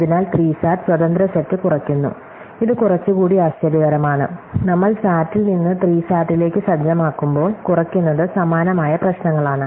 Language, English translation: Malayalam, So, SAT reduces independent set which is a bit more surprising, when our reduction as we set from SAT to SAT, which are both similar looking problems